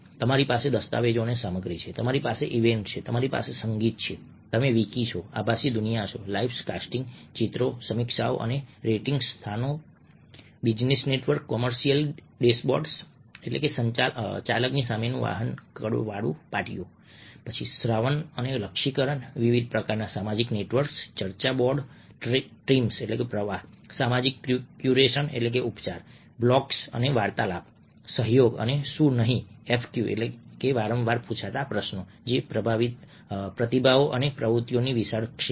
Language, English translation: Gujarati, you have documents and content, you have events, you have music, you're wiki, virtual life, costing pictures, reviews and ratings, locations, business networks, commercial dashboards, listening and targeting, social networks of various kinds, discussion boards, ok streams, socialism, curiosum blocks and conversations